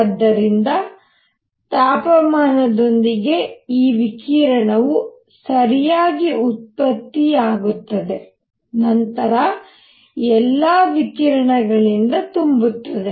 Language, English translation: Kannada, So, with temperature there is this radiation is generated right and this then gets filled with radiation, all the radiation